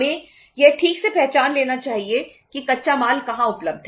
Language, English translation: Hindi, We should properly identify that where is the raw material available